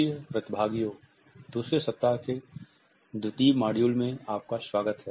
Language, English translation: Hindi, Welcome dear participants to the 2nd module of the 2nd week